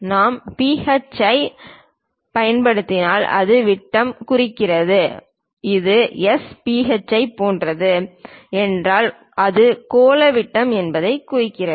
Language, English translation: Tamil, If we are using phi it represents diameter, if it is something like S phi its indicates that spherical diameter